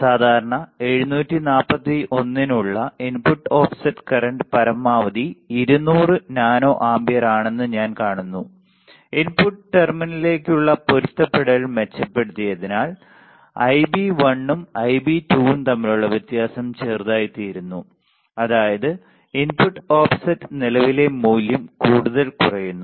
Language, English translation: Malayalam, Then I see that the input offset current for typical 741 is 200 nano ampere maximum as the matching between into input terminals is improved the difference between Ib1 and Ib2 become smaller that is the input offset current value decreases further right